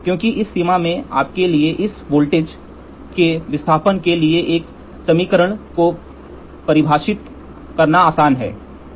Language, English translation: Hindi, Because in this range it is easy for you to define an equation for what volt displacement you will have this voltage, ok